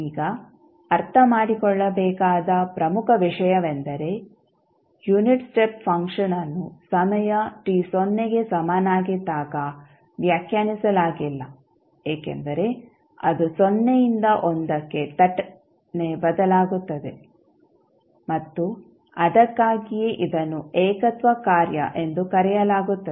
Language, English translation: Kannada, Now, important thing to understand is that unit step function is undefined at time t is equal to 0 because it is changing abruptly from 0 to1 and that is why it is called as a singularity function